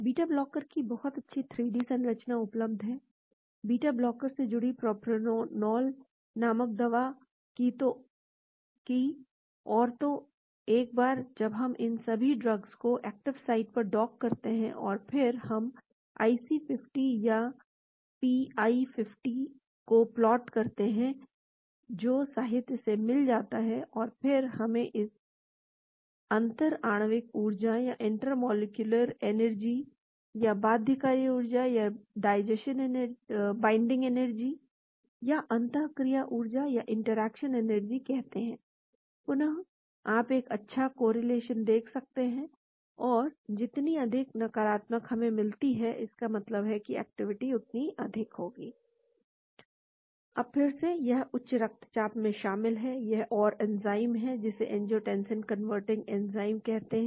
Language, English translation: Hindi, Very nice 3d structure available of betblocker, drug called propranolol bound to the beta blocker, and so once we dock all these drugs to the active site; and then we plot the IC50, or pIC 50, which got from literature and then this we call it the intermolecular energy or binding energy or interaction energy, again you see a nice correlation, more negative we get, that means, the activity is maximum